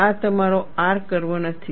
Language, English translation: Gujarati, This is not your R curve